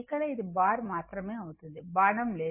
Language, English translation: Telugu, Here, it will be bar only, no arrow right